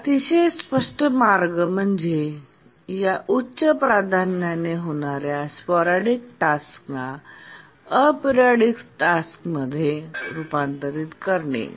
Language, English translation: Marathi, A very obvious way is to convert these high priority sporadic tasks into periodic tasks